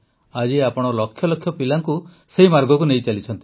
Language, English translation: Odia, And today you are taking millions of children on that path